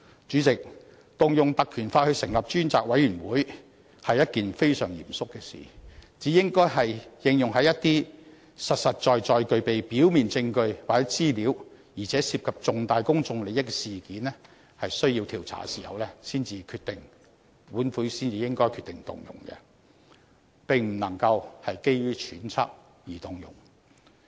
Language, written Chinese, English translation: Cantonese, 主席，引用《條例》成立專責委員會是一件非常嚴肅的事，只有在一些實實在在具備表面證據或資料，而且涉及重大公眾利益的事件需要調查的時候，本會才應該決定動用該條例，而並不能夠基於揣測而動用。, President the invocation of the Ordinance for setting up a select committee is a serious matter . This Council should decide to invoke the Ordinance only when there is concrete prima facie evidence or information and when significant public interest is involved . The Ordinance must not be invoked on the basis of mere speculations